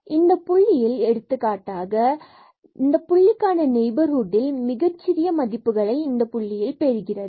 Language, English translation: Tamil, So, at this point for example, at this point here the function in the neighborhood of this point is taking a smaller values at that point itself